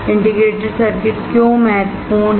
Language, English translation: Hindi, Why integrated circuit is important